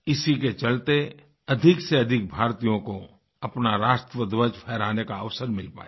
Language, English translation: Hindi, This provided a chance to more and more of our countrymen to unfurl our national flag